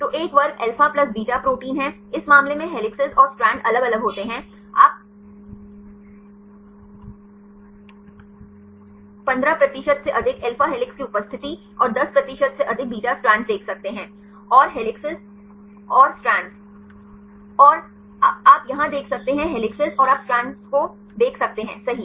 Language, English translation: Hindi, So, one class is alpha plus beta proteins right in this case helices and strands tend to segregate you can see the presence of more than 15 percent alpha helices right and more than 10 percent beta strands, and the helices and strands oh here you can see the helices and you can see the strands right